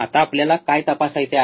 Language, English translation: Marathi, Now, what we have to check